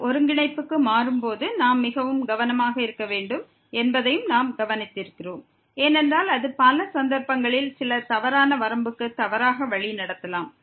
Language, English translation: Tamil, And what we have also observed that we need to be very careful while changing to polar coordinate, because that may mislead to some wrong limit in min many cases